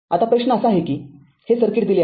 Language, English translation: Marathi, Now, question is it is given your this circuit is given